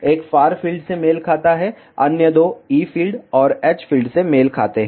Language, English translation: Hindi, One corresponds to far field and other two corresponds to e fields and h fields